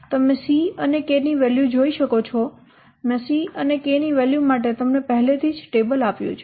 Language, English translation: Gujarati, You can see the value of C and K, I have already given you a table